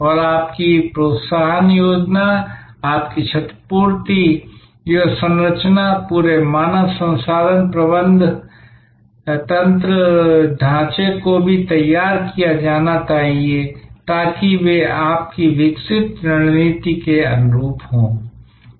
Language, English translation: Hindi, And your incentive structure, your compensation structure, the entire human resource management structure also must be geared up, so that they are in tune with your evolving strategy